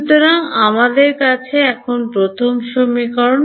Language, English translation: Bengali, So, this is our first equation this is our second equation